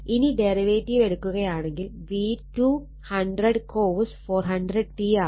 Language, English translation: Malayalam, So, if you take the derivative V 2 will become 100 cosine 400 t right